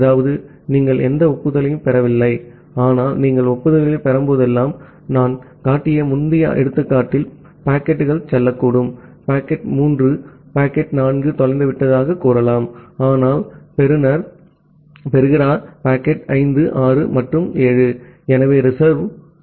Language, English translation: Tamil, That means, you are not receiving any acknowledgement, but whenever you are receiving some acknowledgement that means, possibly that packets say in the earlier example that I was showing, possibly packet 3 has been say packet 4 has been lost, but the receiver is receiving packet 5, 6, and 7